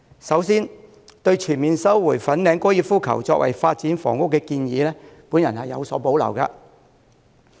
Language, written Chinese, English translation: Cantonese, 首先，對全面收回粉嶺高爾夫球場用地作為發展房屋的建議，我有所保留。, First I have reservations about the proposal to fully resume the Fanling Golf Course for housing development